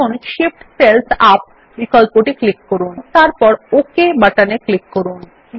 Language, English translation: Bengali, Now click on the Shift cells up option and then click on the OK button